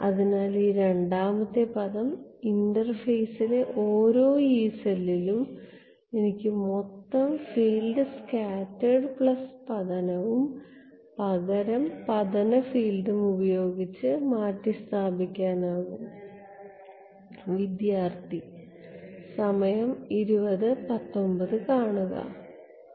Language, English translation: Malayalam, So, this second term; so, at every Yee cell on the interface I will have this replacement of total field by scattered plus incident and the incident field therefore, gets introduced at the interface